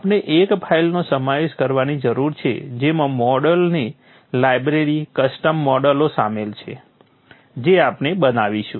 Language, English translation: Gujarati, We need to include a file which contains the library of models, custom model that we would be creating